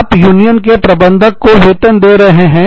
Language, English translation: Hindi, You are paying, the union steward